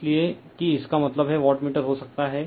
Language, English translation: Hindi, So, that; that means, the wattmeter can be